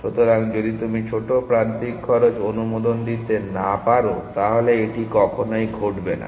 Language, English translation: Bengali, So, if you cannot allow arbitral small edge cost then this will not happen